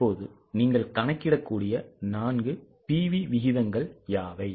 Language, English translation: Tamil, Now what are the 4 PV ratios can you calculate